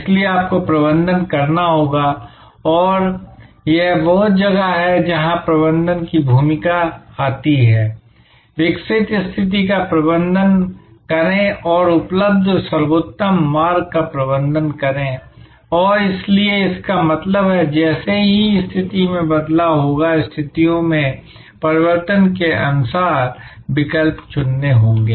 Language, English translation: Hindi, So, you will have to manage and this is where the role of management comes, manage the evolving situation and manage the best path available and therefore, it means that as the situation change there will have to be choices made according to the change in conditions